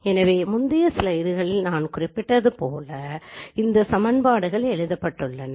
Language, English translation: Tamil, So this is how these equations are written as I mentioned in the previous slide